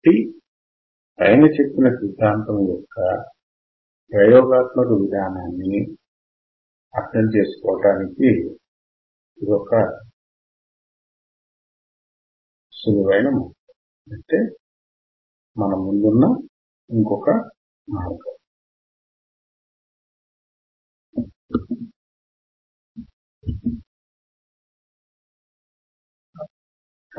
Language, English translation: Telugu, So, this is a different way of understanding the experimental approach to the theory